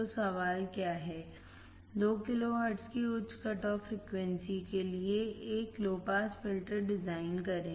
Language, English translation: Hindi, So, what is the question, design a low pass filter for a high cut off frequency of 2 kilohertz all right